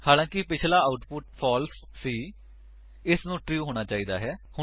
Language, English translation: Punjabi, Since the earlier output was false, now it must be true